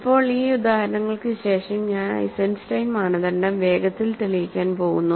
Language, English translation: Malayalam, So, now this after these examples, I am going to quickly prove the Eisenstein criterion